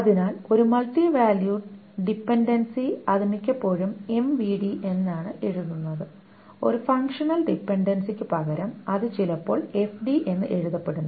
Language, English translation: Malayalam, So a multi valued dependency, it is mostly written as mvd instead of a functional dependency which is sometimes written as FD